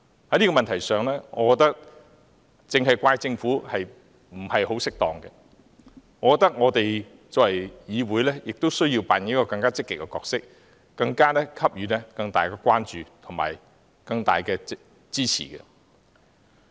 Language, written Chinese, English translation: Cantonese, 在這問題上，我覺得只責怪政府不太適當，我們作為議員亦須扮演更積極的角色，給予更大的關注和支持。, On this matter it is inappropriate to put the blame solely on the Government as we being Members should play a more active role and show greater concern and support